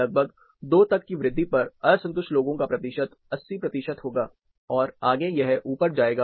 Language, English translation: Hindi, There will be an increase at around 2, the percentage of people dissatisfied will be 80 percentages, and further it will go up